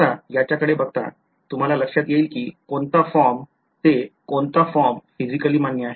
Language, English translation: Marathi, Now, looking at this; they you get an intuition of which form to which form is physically acceptable